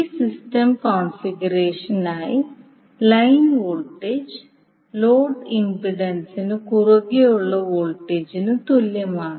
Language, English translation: Malayalam, That means line voltage will be equal to phase voltage coming across the load impedance